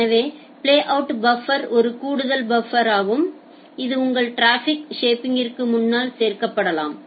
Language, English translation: Tamil, So, playout buffer is an additional buffer, which can be added in front of your traffic shaper